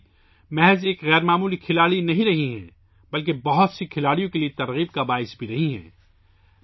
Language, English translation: Urdu, Mithali has not only been an extraordinary player, but has also been an inspiration to many players